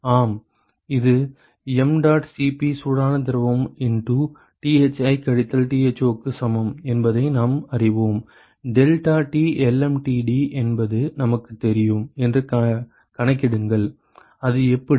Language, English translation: Tamil, Yes we know this is equal to mdot Cp hot fluid into Thi minus Tho taking calculate that we know that deltaT lmtd we know that, how